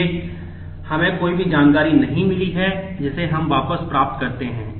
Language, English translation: Hindi, So, we have not lost any information we get it back